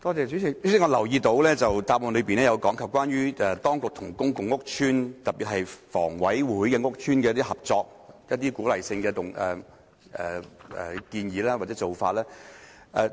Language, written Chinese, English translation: Cantonese, 主席，我留意到主體答覆有提及關於當局與公共屋邨，特別是房委會轄下屋邨的合作，以及一些鼓勵的建議或做法。, President I note from the main reply that the authorities will cooperate with public housing estates especially those under the Housing Authority HA and there will be some proposals and practice to provide incentives